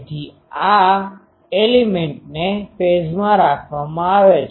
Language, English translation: Gujarati, So, all elements are fed in phase